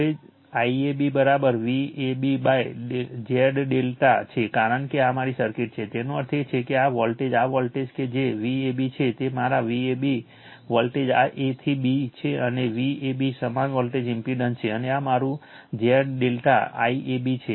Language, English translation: Gujarati, Now, I AB is equal to V AB upon Z delta because, this is my circuit; that means, this voltage your this voltage right that your V AB that is my V AB, this voltage A to B and is equal to V ab right, same voltage impedance and this is my Z delta I AB